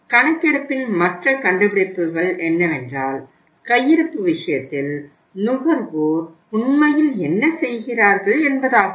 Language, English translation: Tamil, The further findings of the survey are, what consumers really do in case of the stockouts